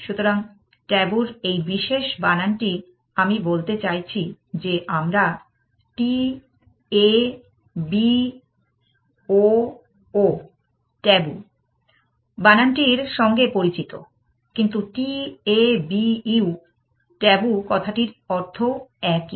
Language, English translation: Bengali, So, this particular spelling of tabu I mean, we are more use to taboo t a b o o, but it the meaning is still the same